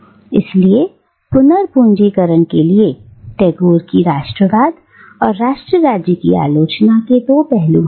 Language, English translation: Hindi, So, to recapitulate, Tagore’s criticism of nationalism and nation state is two fold